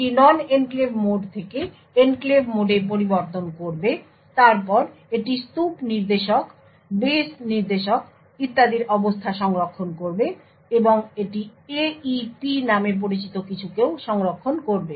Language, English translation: Bengali, It would change the mode from the non enclave mode to the enclave mode then it would save the state of the stack pointer, base pointer and so on and it will also save something known as the AEP